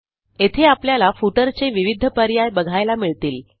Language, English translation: Marathi, You can see several footer options are displayed here